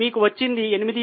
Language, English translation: Telugu, So, you get 8